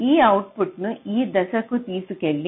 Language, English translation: Telugu, so this output has to be carried to this point